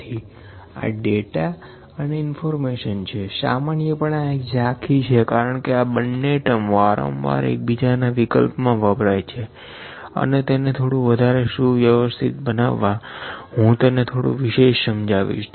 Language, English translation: Gujarati, So, this is data and information, this is a general just general on overview because these two terms were being used interchangeably multiple times and just to make it a little clearer, I am trying to detail it a little